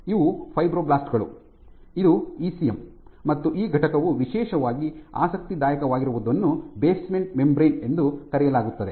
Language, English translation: Kannada, So, these are fibroblasts, this is the ECM, and what this entity is in particularly interesting, this is called the basement membrane